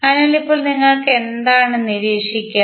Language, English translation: Malayalam, So, now what you will observe